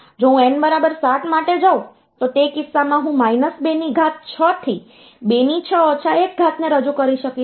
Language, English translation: Gujarati, If I go for n equal to 7, in that case I will be able to represent minus 2 to the power 6 to 2 to the power 6 minus 1